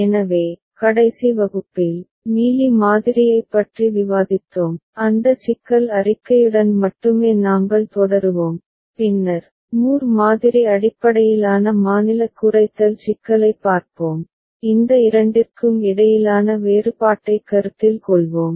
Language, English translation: Tamil, So, in the last class, we discussed Mealy model we shall continue with that problem statement only and later on, we shall look at a Moore model based State Minimization problem and we shall consider the difference between these two